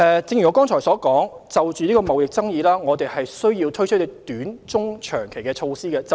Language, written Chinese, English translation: Cantonese, 正如我剛才所說，我們需要就貿易爭議推出短、中、長期的措施。, As I said earlier we must introduce short - medium - and long - term measures in response to the trade conflict